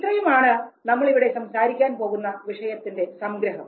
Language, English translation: Malayalam, So that is all about the topics that you would be talking about